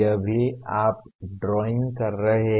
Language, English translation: Hindi, This is also you are drawing